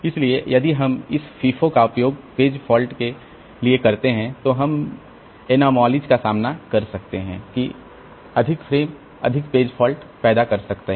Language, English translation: Hindi, So, if we use this FIFO for page replacement, we can encounter the anomaly that more frames may lead to more page faults